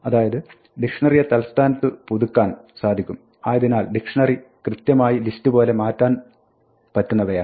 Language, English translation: Malayalam, So, dictionaries can be updated in place and hence are mutable exactly like lists